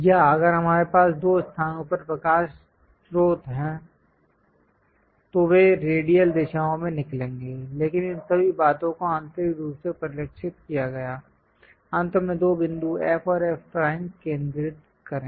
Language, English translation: Hindi, Or if we have light sources at two locations, they will be emanating in radial directions; but all these things internally reflected, finally focus two points F and F prime